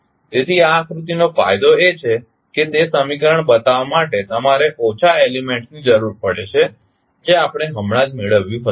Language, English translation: Gujarati, So, the advantage of this particular figure is that you need fewer element to show the equation which we just derived